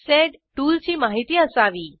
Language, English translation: Marathi, You should be aware of sed tool